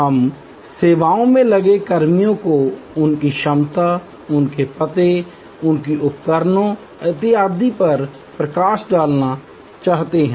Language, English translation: Hindi, We would like to highlight personnel engaged in the services their competence, their address, their equipment and so on